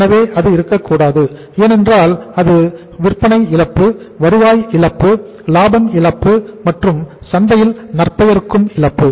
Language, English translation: Tamil, So that should not be there because that will be the loss of sales, loss of revenue, loss of profits, and loss of goodwill in the market